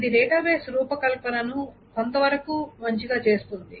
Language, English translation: Telugu, So it can make the design of a database good up to a certain extent